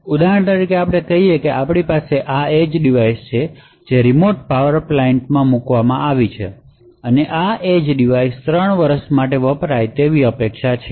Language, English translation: Gujarati, For example, let us say that we have this edge device which is a put in a remote power plant and this edge device is expected to be used for say let us say for 3 years